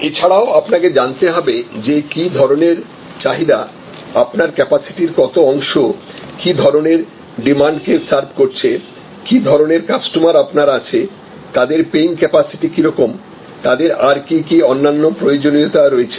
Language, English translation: Bengali, Also you have to know that what kind of demand as what kind of what percentage of your capacity is serve by what kind of demand, what kind of paying capacity, what kind of customers, what are there are different other requirements